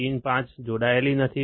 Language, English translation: Gujarati, Pin 5 is not connected